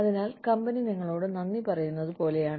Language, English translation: Malayalam, So, it is like, you know, the company is saying, thank you, to you